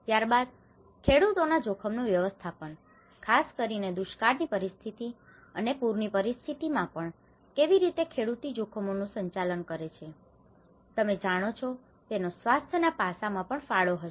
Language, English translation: Gujarati, Then, the farmers risk management especially in the event of droughts, even the event of floods, how the farmers also manage the risk, you know that will also have a contribution to the health aspect